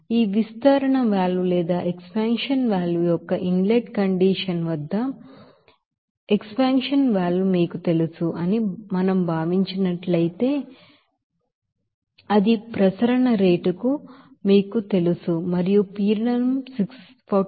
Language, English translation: Telugu, So if we consider that you know expansion valve there at inlet condition of this expansion valve, it will be liquid flowing at that you know circulation rate and the pressure is 643